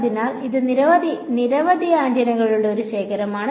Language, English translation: Malayalam, So, this is a collection of many many antennas